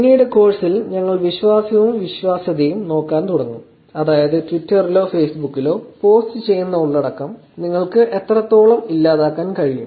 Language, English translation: Malayalam, Later in the course we will start looking at trust and credibility which is how much can you actually delete the content that are posted on Twitter or Facebook